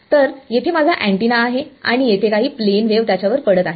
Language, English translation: Marathi, So, here is my antenna over here and there is some plane wave falling on it over here